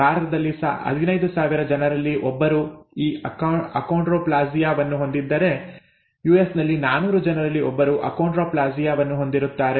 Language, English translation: Kannada, In India, about 1 in 15,000 have this achondroplasia, in the US about 1 in 400 have achondroplasia